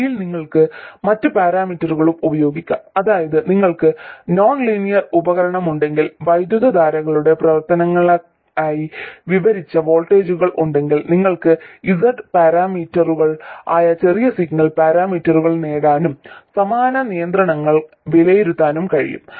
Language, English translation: Malayalam, By the way, you can also use other parameters, that is if your nonlinear device happens to have voltages described as a function of currents, then you can derive the corresponding small signal parameters which are Z parameters and evaluate similar constraints